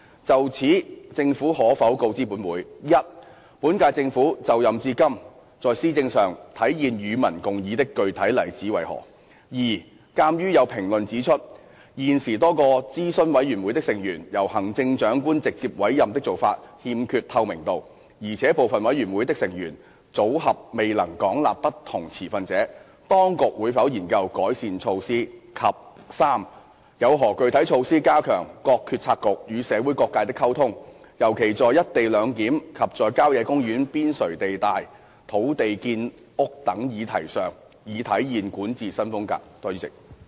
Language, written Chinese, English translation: Cantonese, 就此，政府可否告知本會：一本屆政府就任至今在施政上體現"與民共議"的具體例子為何；二鑒於有評論指出，現時多個諮詢委員會的成員由行政長官直接委任的做法欠缺透明度，而且部分委員會的成員組合未能廣納不同持份者，當局會否研究改善措施；及三有何具體措施加強各決策局與社會各界的溝通，尤其在一地兩檢及在郊野公園邊陲地帶土地建屋等議題上，以體現管治新風格？, In this connection will the Government inform this Council 1 of the specific examples of manifestation of public discussion in the policy implementation by the current - term Government since its inauguration; 2 as there are comments that the current practice of direct appointment of members by CE to a number of advisory committees lacks transparency and the memberships of some committees do not comprise a wide spectrum of different stakeholders whether the authorities will study improvement measures; and 3 of the specific measures to enhance the communication between policy bureaux and various sectors of the community so as to manifest the new style of governance particularly in respect of issues relating to the co - location arrangement and housing developments on sites on the periphery of country parks?